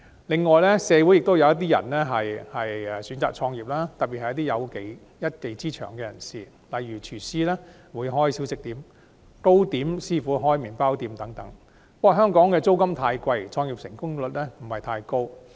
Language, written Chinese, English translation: Cantonese, 此外，社會亦有一些人選擇創業，特別是有一技之長的人士，例如廚師開小食店、糕點師傅開麵包店等，但香港的租金高昂，創業成功率不高。, Furthermore some people in society opt to start their own businesses especially people with special skills such as cooks opening snack stalls and pastry chefs opening bakeries . But given the exorbitant rents in Hong Kong the success rate of start - ups is not high